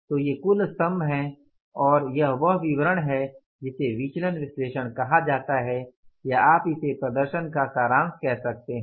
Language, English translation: Hindi, So, these are the total columns and this is the statement which is called as the variance analysis or you can call it as summary of the performance summary of the performance